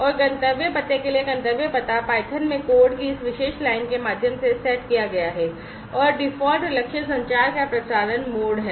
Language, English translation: Hindi, And for the destination address this destination address is set through this particular line of code in python and the default target is the broadcast mode of communication